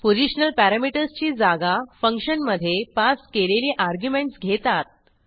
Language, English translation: Marathi, We see that the positional parameters were substituted by the arguments passed to a function